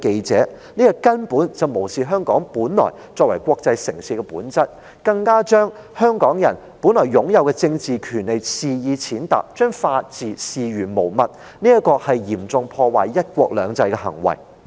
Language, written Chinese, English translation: Cantonese, 這根本無視了香港作為國際城市的本質，更把香港人本來擁有的政治權利肆意踐踏，把法治視如無物，是嚴重破壞"一國兩制"的行為。, This act simply disregarded the nature of Hong Kong as an international city trampled on the political rights that the people of Hong Kong originally enjoyed totally ignored the rule of law and seriously damaged one country two systems